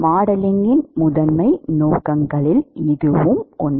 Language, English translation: Tamil, This one of the primary purposes of modeling